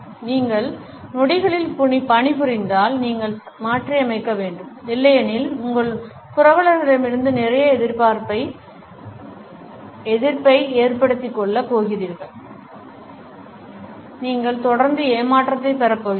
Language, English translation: Tamil, If you work in seconds then you need to adapt otherwise you are going to set yourself up for a lot of resistance from your hosts and you are going to get constant disappointment